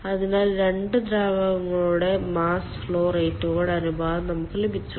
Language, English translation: Malayalam, so we have got the ratio of mass flow rates of the two fluids